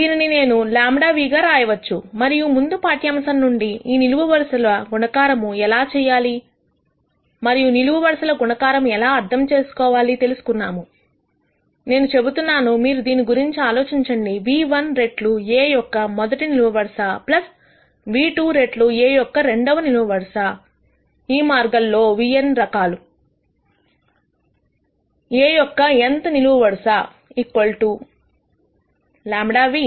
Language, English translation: Telugu, I can write this as lambda nu and from the previous lecture of how to do this column multiplication and how to interpret this column multiplication, I said you could think of this as nu1 times the rst column of A plus nu2 times the second column of A; all the way up to nu n types; nth column of A equal to lambda nu